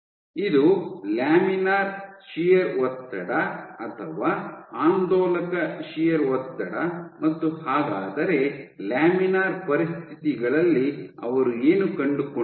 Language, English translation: Kannada, This is laminar shear stress or oscillatory shear stress and what they found was under laminar conditions